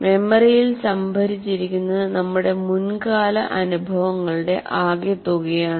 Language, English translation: Malayalam, what is stored in the memory is some aspects of all our past experiences